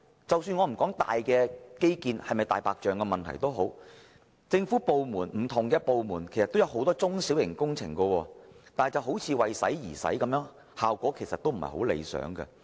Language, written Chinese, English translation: Cantonese, 即使我不討論大型基建項目是否"大白象"工程，但不同的政府部門所推出的多項中小型工程卻似乎是"為使而使"，效果有欠理想。, Even if I leave behind the question of whether those large - scale infrastructure projects are white elephant projects it appears that the small to medium projects were carried out by different government departments for the sake of spending money and have failed to achieve the desirable effect